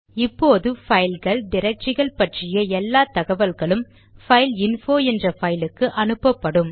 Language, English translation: Tamil, Now all the files and directories information will be directed into the file named fileinfo